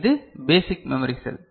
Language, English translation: Tamil, We are discussing Memory